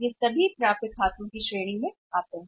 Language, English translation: Hindi, All these are in the category of accounts receivables